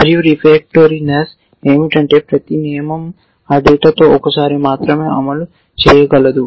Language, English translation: Telugu, And that is what refractoriness says that every rule can only fire once with that piece of data